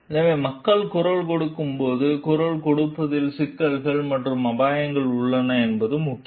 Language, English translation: Tamil, So, it is important that when people are voicing, there are issue risks associated with voicing